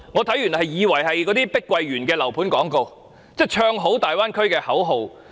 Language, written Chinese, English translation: Cantonese, "看完我以為這是碧桂園的樓盤廣告，是"唱好"粵港澳大灣區的口號。, I thought I was reading the property advertisement of Country Garden or a slogan promoting the Guangdong - Hong Kong - Macao Bay Area